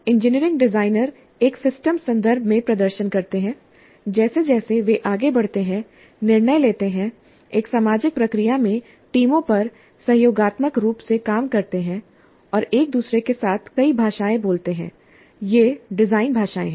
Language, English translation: Hindi, Engineering designers perform in a systems context, making decisions as they proceed, working collaboratively on teams in a social process, and speaking several languages with each other